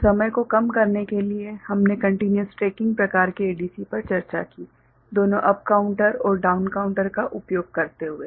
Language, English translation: Hindi, And to reduce the time, we discussed continuous tracking type of ADC, using both up counter and down counter